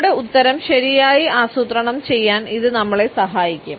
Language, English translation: Malayalam, It can help us in planning our answer properly